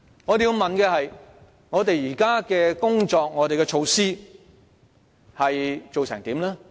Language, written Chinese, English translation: Cantonese, 我們要問的是，我們現行的工作和措施有何成果？, We have to ask this What achievements have been made by the current efforts and measures?